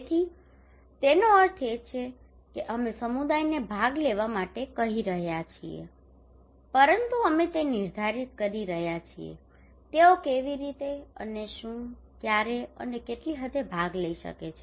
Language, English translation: Gujarati, So it means that we are asking community to participate, but we are defining that how and what, when and what extent they can participate